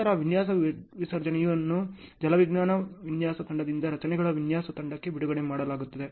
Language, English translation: Kannada, Then design discharge is released from hydrology design team to structures design team